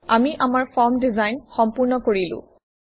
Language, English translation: Assamese, And finally, we are done with our Form design